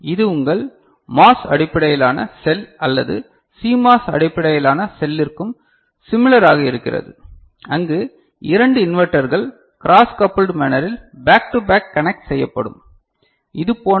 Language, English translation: Tamil, And this is similar for your MOS based cell or CMOS based cell also where 2 inverters will be connected back to back in a cross coupled manner rather, like this